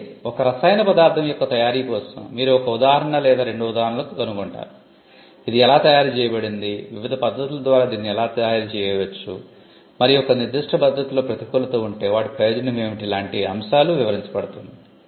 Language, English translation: Telugu, Whereas, for a preparation of a chemical substance, you will find examples or example 1, 2, how this is prepared, the different methods by which it can be prepared and if there is a disadvantage in a particular method that advantage is described